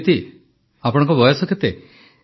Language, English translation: Odia, Aditi how old are you